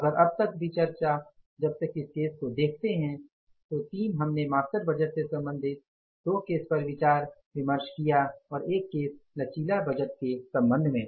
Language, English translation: Hindi, So, up till this discussion if you look at these cases, the three cases which we discussed, two cases with regard to the master budget and one case with regard to the flexible budget